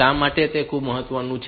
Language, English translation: Gujarati, Why is it so important